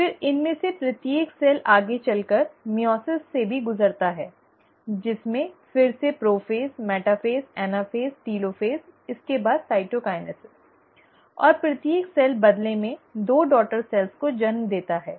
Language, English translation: Hindi, Then, each of these cells will then further undergo meiosis too, which again has its stages of prophase, metaphase, anaphase, telophase, followed by cytokinesis, and an each cell in turn give rise to two daughter cells